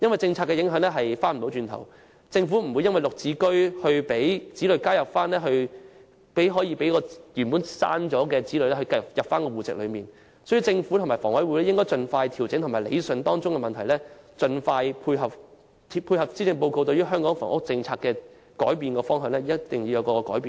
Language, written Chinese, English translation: Cantonese, 政策造成的影響不能逆轉，政府也不會因"綠置居"而讓已從戶籍剔除的子女重新加入戶籍，所以政府和房委會應盡快調整和理順涉及的問題，盡快配合施政報告對香港房屋政策的改變方向，同時作出改變。, The impacts caused by the Policies are irreversible . Nor will the Government allow the addition of deleted household members . Hence the Government and HKHA should make adjustments and iron out the problems involved expeditiously and tie in with the new direction adopted by the Policy Address for Hong Kongs housing policy while introducing changes